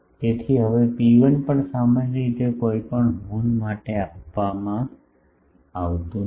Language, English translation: Gujarati, So, now rho 1 is also generally not given for any horn